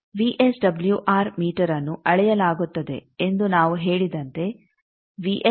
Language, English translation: Kannada, As we say that the VSWR meter is measured, VSWR to be 1